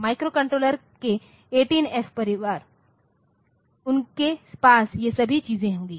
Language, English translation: Hindi, So, 18F family of microcontroller so, they will have all these things